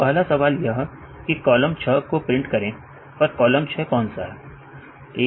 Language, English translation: Hindi, Now the first question is print column 6, and which one is column 6